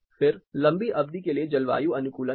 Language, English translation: Hindi, Then there is long term acclimatization